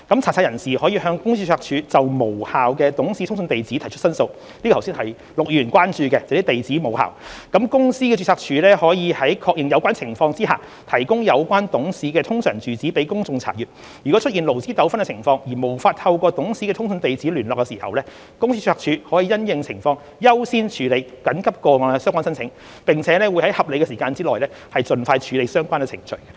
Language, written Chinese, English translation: Cantonese, 查冊人士可向公司註冊處就無效的董事通訊地址提出申訴，這是陸議員剛才所關注的地址無效，公司註冊處可在確認有關情況下提供有關董事的通常住址予公眾查閱，如出現勞資糾紛情況而無法透過董事的通訊地址聯絡時，公司註冊處可因應情況優先處理緊急個案的相關申請，並會在合理時間內盡快處理相關程序。, Searchers can file a complaint with the Company Registry in regard to invalid correspondence address of a director . The Company Registry can then make available that directors URA for public inspection after confirming the invalidity . In the event of a labour dispute where the director concerned cannot be reached at hisher correspondence address the Company Registry may give priority to an urgent complaint as appropriate and go through the relevant procedures as soon as reasonably practicable